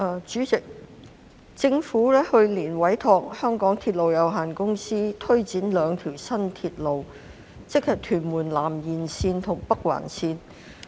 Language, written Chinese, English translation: Cantonese, 主席，政府於去年委託香港鐵路有限公司推展兩條新鐵路，即屯門南延線和北環線。, President last year the Government entrusted the MTR Corporation Limited MTRCL to take forward the development of two new railways namely Tuen Mun South Extension and Northern Link